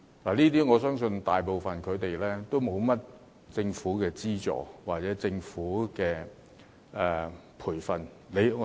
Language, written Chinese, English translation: Cantonese, 我相信他們大部分人都沒有得到甚麼政府資助或培訓......, I believe most of them do not receive any government subsidy or training Sarah LEE does but I believe the other two probably do not get much support